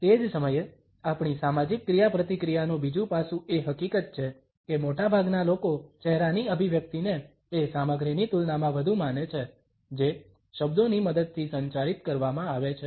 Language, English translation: Gujarati, At the same time another aspect of our social interaction is the fact that most people believe the facial expression more than the content which has been communicated with the help of words